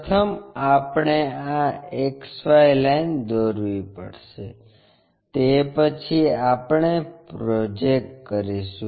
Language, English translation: Gujarati, First we have to draw this XY line after that we draw a projector